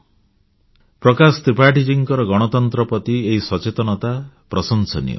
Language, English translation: Odia, Prakash Tripathi ji's commitment to democracy is praiseworthy